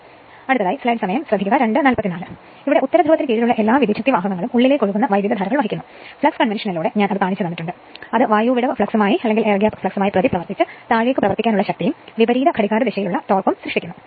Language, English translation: Malayalam, So, next is all the conductors under the north pole carry inward flowing currents that I showed with flux convention which react with their air gap flux to produce downward acting force, and it counter and the counter clockwise torque